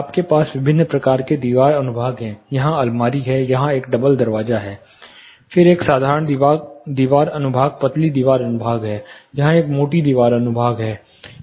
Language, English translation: Hindi, You have different types of wall section, there is wardrobe here, there is a door double door here, then there is a simple wall section thin wall section, there is a thicker wall section here